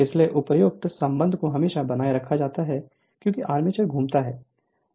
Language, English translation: Hindi, So, that above relation is always maintained as the armature rotates